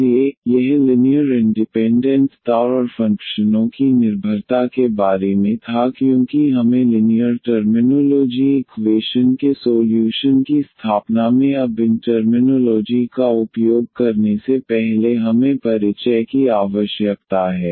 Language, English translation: Hindi, So, this was about the linear independence and dependence of the functions because we need to introduce before we use these terminology now in the in setting of the solutions of linear differential equations